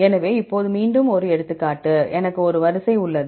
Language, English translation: Tamil, So, now again example I have a sequence